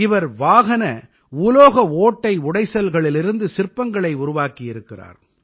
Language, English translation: Tamil, He has created sculptures from Automobile Metal Scrap